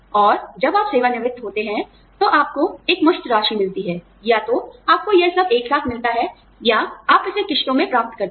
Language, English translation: Hindi, And, when you retire, you get a lump sum, either, you get it all together, or, you get it in instalments